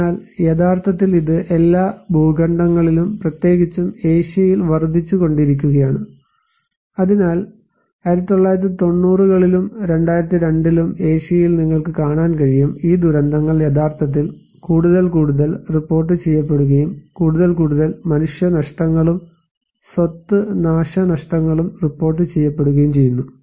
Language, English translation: Malayalam, So, actually it is increasing in all continents particularly in Asia, so in 1990’s and 2002, you can see in Asia’s, these disasters are actually more and more reported and more and more human losses and property damage are reported